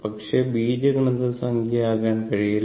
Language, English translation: Malayalam, But just cannot be algebraic sum, right